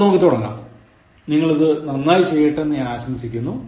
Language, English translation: Malayalam, Okay, let’s start, I wish you that, you all do very well in this one